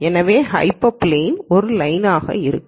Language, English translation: Tamil, So, the hyperplane is going to be a line